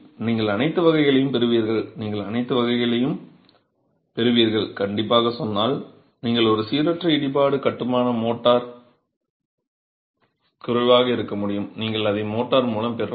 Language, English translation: Tamil, You get all varieties, you get all varieties, strictly speaking, but you could have a random double construction motor less with wedging you could get it also with mortar